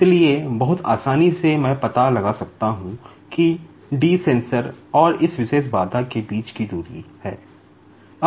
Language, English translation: Hindi, So, very easily, I can find out d, that is the distance between the sensor and this particular obstacle